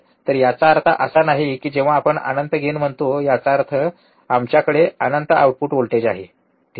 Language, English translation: Marathi, So, that does not mean that when we say infinite gain; that means, that we have infinite output voltage, alright